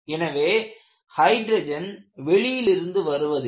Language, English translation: Tamil, And where do this hydrogen come from